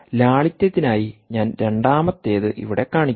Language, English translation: Malayalam, this is one, and for simplicity, i will show the second one here